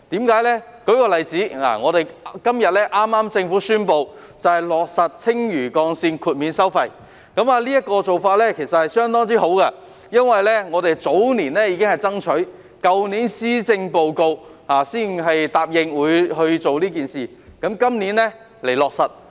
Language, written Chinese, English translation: Cantonese, 舉例來說，政府剛於今天宣布落實青嶼幹線豁免收費，這個做法相當好，我們早年已作爭取，去年的施政報告才答應落實，今年便推行這個做法。, For example the Government has just announced the implementation of toll waiver for the Lantau Link today . This is a very good initiative that we have strived for over the years . The Government undertook to implement this initiative in the Policy Address only last year and this year action has already been taken